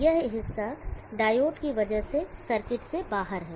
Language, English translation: Hindi, This portion is out of the circuit because of the diode